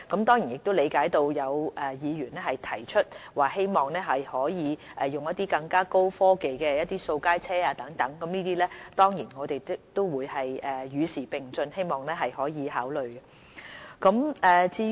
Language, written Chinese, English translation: Cantonese, 當然，我理解有議員提出希望可以使用更高科技的掃街車等，就此我們也會與時並進，希望可以考慮。, I certainly appreciate the wish of a certain Member to see the deployment of more high - tech street sweepers etc . We will keep ourselves up - to - date on this score and will hopefully take this into consideration